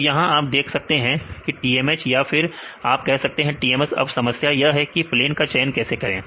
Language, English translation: Hindi, See the here you can see TMH right otherwise you say TMS then the problem is how to choose this plane right that is a problem